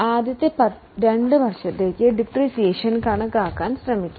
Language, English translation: Malayalam, So, we will try to calculate depreciation for first two years